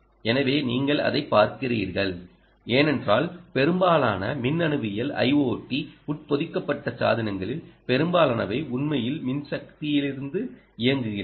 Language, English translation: Tamil, so, ah, that's what you are looking at, because most of the electronics, most of the i o t embedded devices that we are looking at, actually run from electrical power